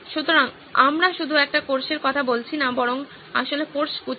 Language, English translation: Bengali, So we are not just talking one course but actually bouquet of courses